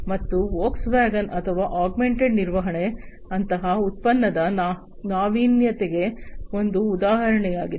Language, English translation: Kannada, And Volkswagen or augmented maintenance is an example of such kind of product innovation